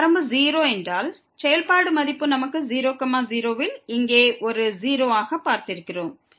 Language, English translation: Tamil, If this limit is 0 because the function value we have seen a 0 here at